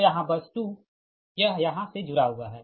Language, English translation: Hindi, so here bus two it is, it is connected here